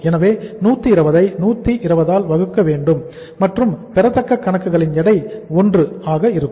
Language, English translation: Tamil, So 120 to be divided by 120 and it is going to the weight of the accounts receivable is going to be the 1